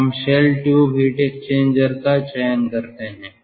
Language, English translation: Hindi, so we go for shell tube heat exchanger very rarely